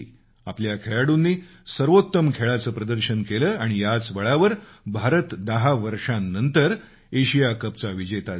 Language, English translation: Marathi, Our players performed magnificently and on the basis of their sterling efforts, India has become the Asia Cup champion after an interval of ten years